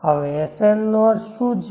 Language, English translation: Gujarati, Now what is the meaning of sn